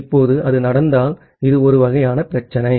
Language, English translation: Tamil, Now, if it happens, so, this is the kind of problem